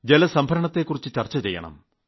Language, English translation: Malayalam, We should also store water